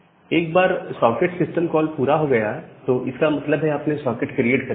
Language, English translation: Hindi, Now, once the socket system call is done, you have created the socket